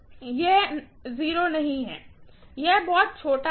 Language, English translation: Hindi, It is not 0, it is very small